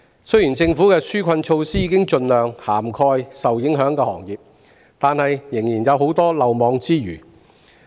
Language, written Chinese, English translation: Cantonese, 雖然政府的紓困措施已盡量涵蓋受影響的行業，但仍然有很多行業未能受惠。, Although the Government has tried to include as many affected trades and industries as possible in its relief measures many others are still left out